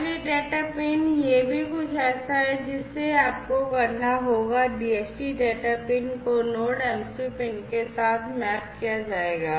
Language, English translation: Hindi, And this data pin this is also something that you will have to do the DHT data pin will be mapped with the NodeMCU pin, right